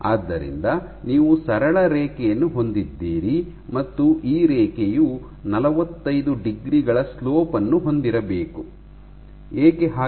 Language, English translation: Kannada, So, you have a straight line and this line should ideally have a slope of 45 degrees; why